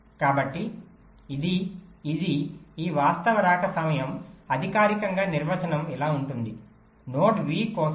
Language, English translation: Telugu, so this, this, this actual arrival time, actually formally definition goes like this: so for a node, v